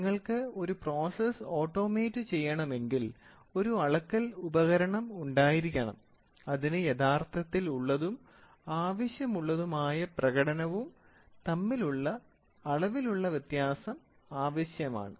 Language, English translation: Malayalam, See if you want to automate a process, you should have a measurement device which requires the measured discrepancy between the actual and the desired performance